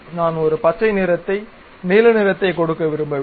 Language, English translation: Tamil, I do not want to give green color a blue color